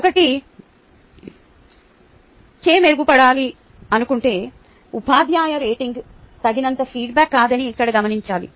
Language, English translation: Telugu, here it is important to note that if a teacher wants to improve, simply the teacher rating is not a sufficient ah feedback